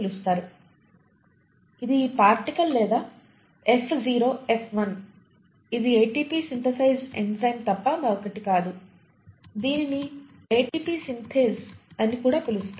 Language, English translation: Telugu, It is this particle or F0, F1 it is nothing but the ATP synthesising enzyme, also called as ATP Synthase